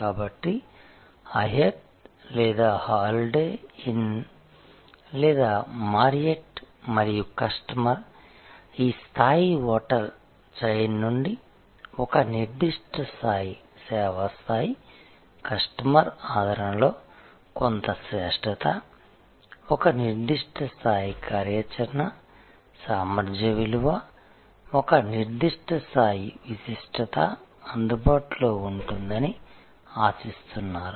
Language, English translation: Telugu, So, like Hyatt or Holiday Inn or Marriott and the customer expects that a certain level of service level, a certain excellence in customer endearment, a certain level of operational efficiency value for money, a certain level of distinctiveness will be available from this global hotel chain